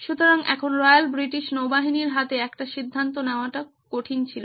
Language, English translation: Bengali, So, now Royal British Navy had a tough proposition in their hand